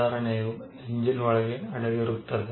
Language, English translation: Kannada, The improvement rests inside the engine